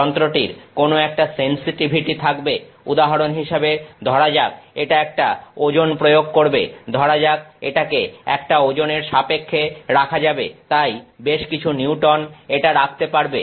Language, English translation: Bengali, The instrument will have some sensitivity, it will say it applying a load, for example, it will say that it can put in terms of a load so, many Newton’s it can put